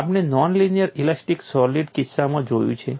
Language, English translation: Gujarati, We are looked at in the case of a non linear elastic solid